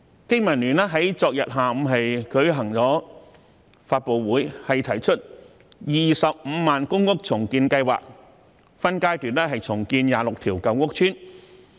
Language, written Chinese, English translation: Cantonese, 經民聯在昨天下午舉行了發布會，提出 "250,000 公屋重建計劃"，分階段重建26條舊屋邨。, During the press conference held yesterday afternoon BPA proposed a 250 000 public rental housing redevelopment plan to redevelop 26 old housing estates in phases